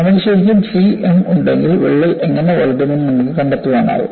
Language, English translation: Malayalam, If you really have c and m, it is possible for you to find out what way the crack will grow